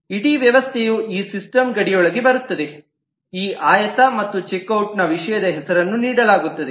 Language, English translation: Kannada, The whole system falls within this system boundary, this rectangle, and is given a subject name of check out